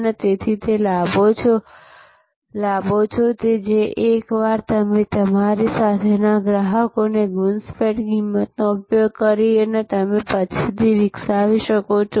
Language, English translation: Gujarati, And therefore, those are benefits, which you can develop later, once you have by using a penetration pricing the customers with you